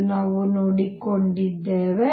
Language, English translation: Kannada, As we have found this so far